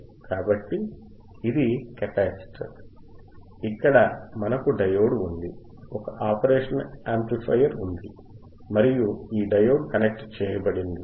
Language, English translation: Telugu, So, this is a capacitor, then we have a diode we have a diode,, we have operational amplifier, right we have an operational amplifier, and my diode is connected my diode is connected